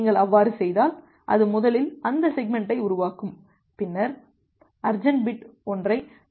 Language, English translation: Tamil, If you do that then it will first create that segment and segment then send it out with the urgent bit set to one